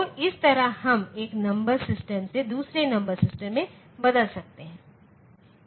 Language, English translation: Hindi, So, this way we can convert from one number system to another number system